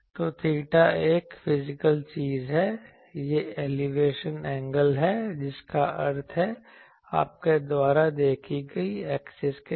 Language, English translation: Hindi, So, theta, theta is a physical thing, it is the elevation angle that means, with the axis you see